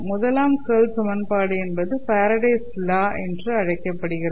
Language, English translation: Tamil, So the first curl equation is called as Faraday's law